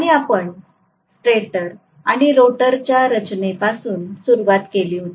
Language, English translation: Marathi, And we started off with the structure of stator and rotor